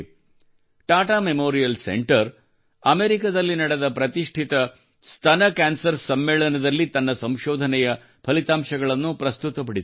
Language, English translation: Kannada, Tata Memorial Center has presented the results of its research in the very prestigious Breast cancer conference held in America